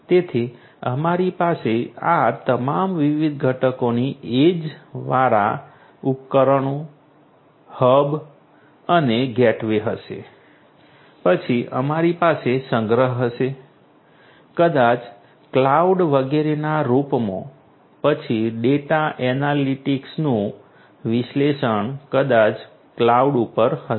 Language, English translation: Gujarati, So, we will have all these different components you know age devices, you know then hubs and gateways, then we have storage maybe in the form of cloud etcetera, then analysis of the data analytics maybe at the cloud